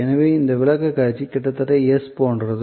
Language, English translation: Tamil, So, almost like an S in this presentation